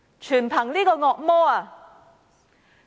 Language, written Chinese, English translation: Cantonese, 全因這個惡魔。, The devil is to blame for all this